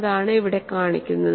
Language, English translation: Malayalam, And what you find here